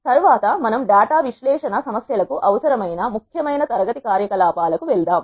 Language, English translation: Telugu, Next we move to the important class of operations that are needed for data analysis problems